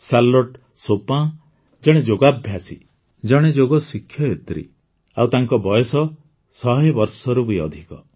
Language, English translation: Odia, Charlotte Chopin is a Yoga Practitioner, Yoga Teacher, and she is more than a 100 years old